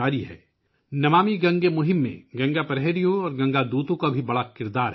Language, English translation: Urdu, In the 'NamamiGange' campaign, Ganga Praharis and Ganga Doots also have a big role to play